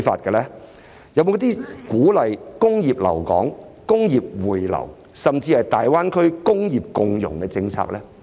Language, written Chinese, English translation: Cantonese, 有沒有一些鼓勵工業留港、工業回流，甚至是大灣區工業共融的政策呢？, Are there any policies to encourage the retention of industries in Hong Kong the return of industries to Hong Kong or even the integration of industries in the Greater Bay Area GBA?